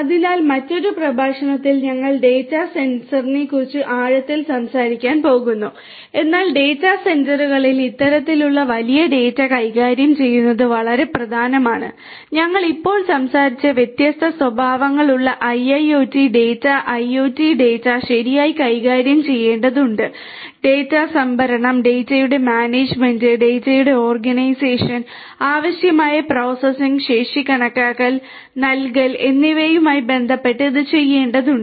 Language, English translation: Malayalam, So, data centre we are going to talk about in depth in another lecture, but handling this kind of big data at the data centres is very important, IIoT data IoT data having different characteristics that we spoke about just now will have to be handled properly handling with respect to the storage of the data, management of the data, organisation of the data, estimating and providing necessary processing capacity this will also have to be done